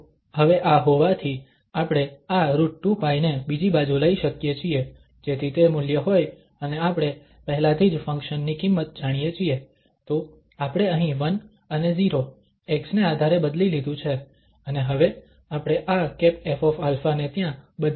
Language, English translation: Gujarati, So, having this now we can just take this square root 2 pi to the other side so that is the value and we know already the function value, so we have substituted here 1 and 0 depending on this x, and this f hat alpha we can now substitute there